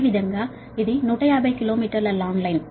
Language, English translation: Telugu, similarly it is one fifty kilo meters line long line